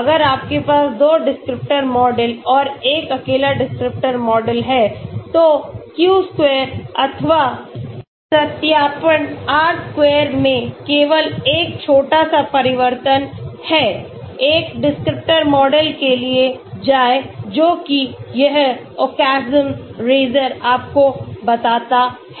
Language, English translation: Hindi, If you have 2 descriptor model and a single descriptor model, there is only small change in the q square or the validation r square, go for the one descriptor model that is what this Occam’s razor tells you